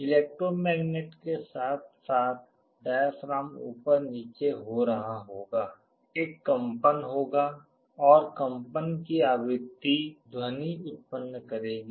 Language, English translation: Hindi, The electromagnet as well as the diaphragm will be moving up and down, there will be a vibration and the frequency of vibration will generate a sound